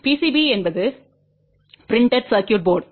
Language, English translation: Tamil, PCB is printed circuit board